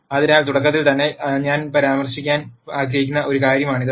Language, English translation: Malayalam, So, that is one thing that I would like to mention right at the beginning